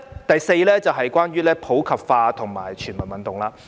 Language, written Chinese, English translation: Cantonese, 第四，關於普及化和全民運動。, Fourthly promoting sports for all in the community